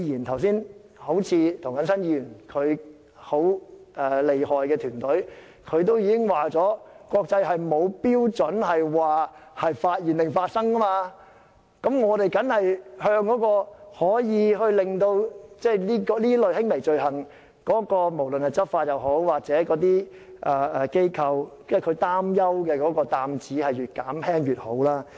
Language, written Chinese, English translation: Cantonese, 好像剛才涂謹申議員厲害的團隊已經指出，國際間沒有按"發現"還是"發生"的日期計算的標準，我們越減輕執法當局或執法機構擔憂這類輕微罪行的擔子當然就越好。, As Mr James TOs remarkable team has pointed out there is no international standard on whether the time limit for prosecution should run from the date of discovery or commission of the offence . If we can lessen the burden of handling this kind of less serious offences on law enforcement agencies it will certainly be better